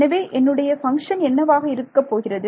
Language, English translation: Tamil, So, what is my function going to be like